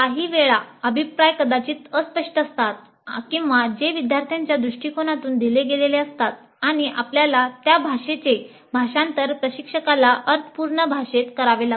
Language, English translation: Marathi, And certain times the feedback may be in terms which are vague or in terms which are given from the perspective of the students and we may have to translate that language into a language that makes sense to the instructor